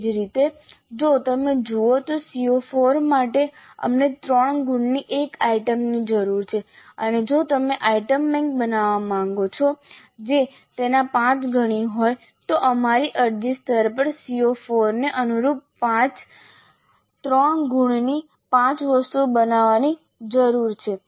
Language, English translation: Gujarati, Similarly for CO4 if you see we need one item of three marks and if you wish to create an item bank which is five times that then we need to create five items of three marks each corresponding to CO4 at apply level